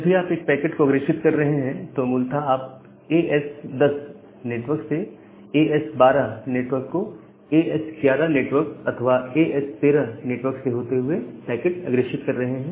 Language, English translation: Hindi, And whenever you are forwarding a packet, you are forwarding the packet from basically from this network the network of as 10 to the network of as 12, via either the network of as 11 or network of as 13